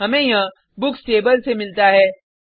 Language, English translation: Hindi, We get this from Books table